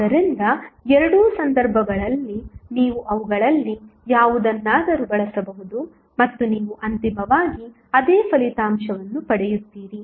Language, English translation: Kannada, So, in both of the cases you can use either of them and you will get eventually the same result